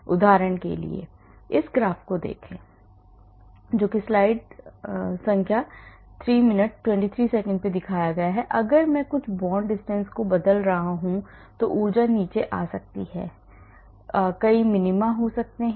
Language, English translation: Hindi, For example, look at this graph so if I am changing certain bond distances energy may be coming down down down there could be many minima